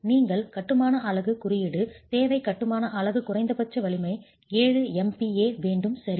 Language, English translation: Tamil, You require that the masonry unit, the code requires that the masonry unit has a minimum strength of 7 megapascals, right